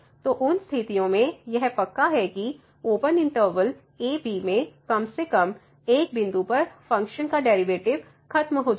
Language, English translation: Hindi, So, under those conditions it is guaranteed that the function will derivative of the function will vanish at least at one point in the open interval (a, b)